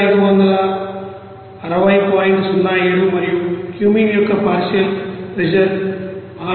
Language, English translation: Telugu, 07 and partial pressure of Cumene will be 6